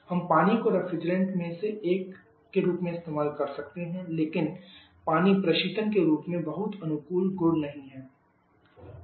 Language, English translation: Hindi, We can also use water as a as one of the different but water has not very favourable property as refrigerant